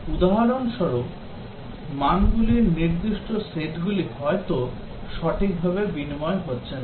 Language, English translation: Bengali, For example, the specific set of values etcetera may not be getting interchanged properly